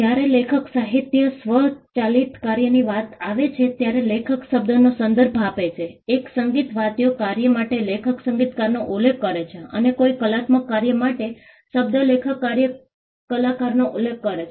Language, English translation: Gujarati, The term author refers to the author of a work when it comes to literary automatic work, for a musical work author refers to the composer and for an artistic work the word author refers to the artist